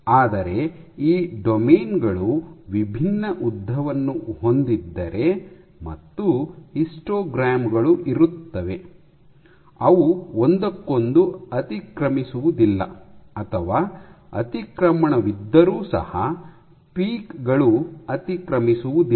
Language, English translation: Kannada, But if these domains are of distinct lengths you will see that you will have 3 histograms, which do not overlap with each other or the overlap might be there, but the peaks do not overlap